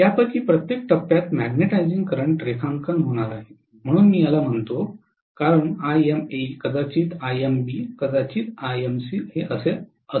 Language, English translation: Marathi, Each of these phases are going to draw magnetizing current so let me call this as Ima may be Imb may be Imc